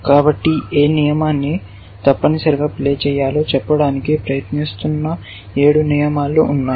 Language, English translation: Telugu, So, there are 7 rules which are trying to tell me which card to play essentially